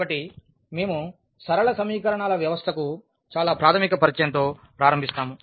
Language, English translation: Telugu, So, we will start with a very basic Introduction to the System of Linear Equations